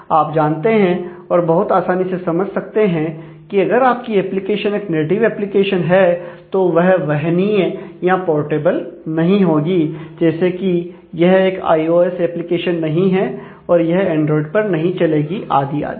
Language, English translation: Hindi, So, you can very easily understand, that if your application is a native one then it is not portable across devices, this is not an iOS application is not run on android and so on